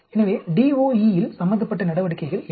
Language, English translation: Tamil, So, what are the activities involved in DOE